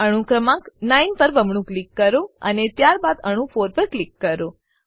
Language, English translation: Gujarati, Double click on atom number 9, and then click on atom 4